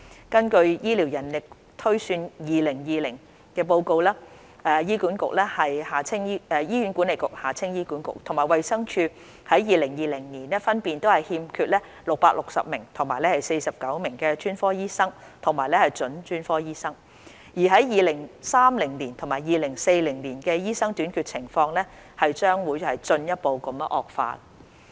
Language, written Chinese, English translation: Cantonese, 根據《醫療人力推算2020》，醫院管理局和衞生署在2020年分別欠缺660名和49名專科醫生和準專科醫生；而在2030年及2040年的醫生短缺情況將會進一步惡化。, According to the Healthcare Manpower Projection 2020 there was a shortfall of 660 and 49 specialists and specialists to - be in the Hospital Authority HA and the Department of Health DH respectively in 2020 and the shortage of doctors will further worsen in 2030 and 2040